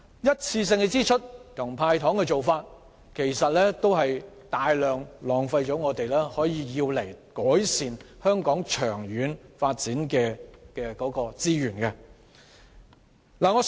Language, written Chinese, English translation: Cantonese, 一次性支出和"派糖"的做法，其實會浪費大量可用以改善香港長遠發展的資源。, One - off expenditure and candies dished out are actually a great waste of the resources which may be used to improve the long - term development of Hong Kong